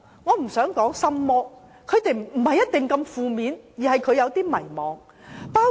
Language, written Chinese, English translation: Cantonese, 我不想稱之為心魔，因為未必那麼負面，青年人只是有點迷茫。, I do not want to say there is a ghost in their heart as the situation may not be so negative . Young people are just a little confused